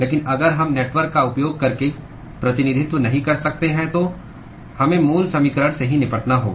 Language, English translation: Hindi, But if we cannot represent using network then we have to deal with the original equation itself